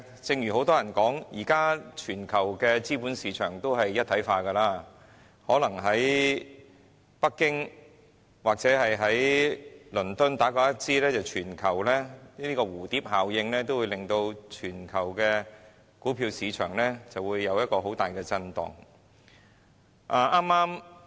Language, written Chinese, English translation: Cantonese, 正如很多人都說，現時全球的資本市場都是一體化，可能北京或倫敦打個噴嚏、在蝴蝶效應的影響下，全球股票市場都會出現大震盪。, As many have said with the integration of capital markets all over the world these days it is possible that when Beijing or London sneezes stock markets in the whole world may sustain heavy shocks as a result of the butterfly effect